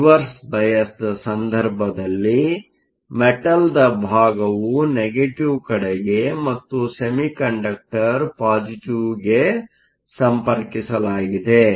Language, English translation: Kannada, In the case of a Reverse bias, the metal side is connected to a negative and the semiconductor is connected to a positive